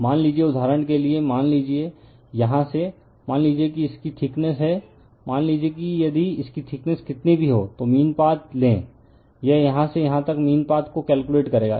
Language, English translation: Hindi, Suppose, for example, suppose from here, suppose the thickness of this one, suppose if you take your what you call thickness of this one whatever it is, you take the mean path, you would calculate from here to here the mean path right